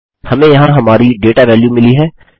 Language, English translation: Hindi, Weve got our data values in here